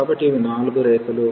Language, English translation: Telugu, So, these are the 4 curves